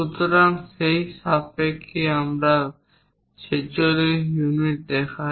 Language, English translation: Bengali, So, with respect to that we show 46 units